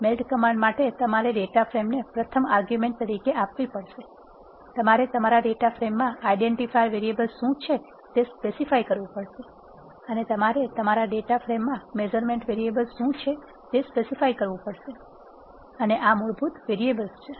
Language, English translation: Gujarati, For the melt command you have to give the data frame as first argument and you have to specify what are the identifier variables in your data frame , and you have to also specify what are the measurement variables in your data frame and these are the default variable and value arguments that, are generated when the melt command is executed